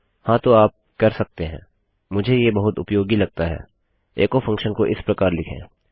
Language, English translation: Hindi, Right, you can – and I find this very useful – write your echo function like this